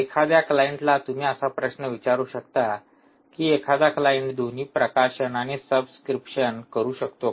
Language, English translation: Marathi, you may ask questions like: can a client be both publish and subscribe